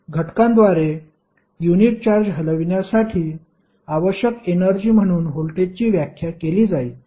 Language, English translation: Marathi, Voltage will be defined as the energy required to move unit charge through an element